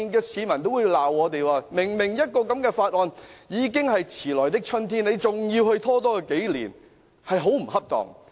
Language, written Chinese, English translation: Cantonese, 市民會罵我們，這項議案已經是遲來的春天，但仍要拖延數年，真是很不恰當。, The public will blame us for inappropriately delaying this motion which has already come belatedly again for years